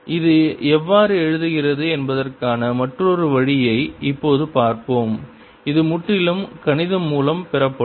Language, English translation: Tamil, let us now see an another way, how it arises, and this will be purely mathematical